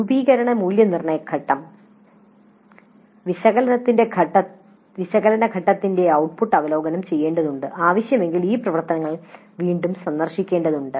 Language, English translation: Malayalam, So the output of analysis phase needs to review and if required these activities need to be revisited